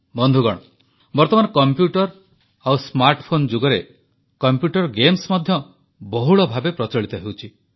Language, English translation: Odia, Friends, similarly in this era of computers and smartphones, there is a big trend of computer games